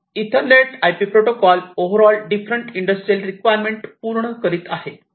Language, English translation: Marathi, So, Ethernet IP protocol is overall catering to the different industrial requirements